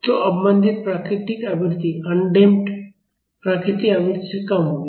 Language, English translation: Hindi, So, the damped natural frequency will be less than that of the undamped natural frequency